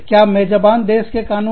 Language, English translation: Hindi, Will the laws of the host country, apply